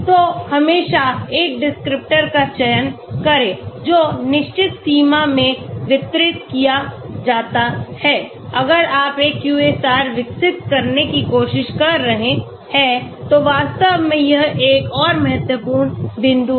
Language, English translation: Hindi, So always select a descriptor, which is distributed in certain range if you are trying to develop a QSAR that is another important point actually